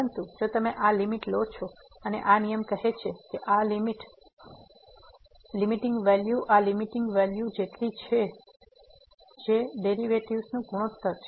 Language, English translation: Gujarati, But if you take this limit and this rule says that this limit, this limiting value is equal to this limiting value which is the ratio of the derivatives